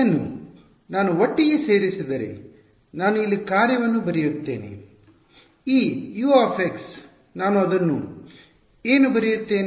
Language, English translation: Kannada, Putting this together I write the function inside over here, this U of x what do I write it as